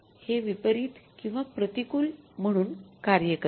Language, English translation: Marathi, This works out as adverse or unfavorable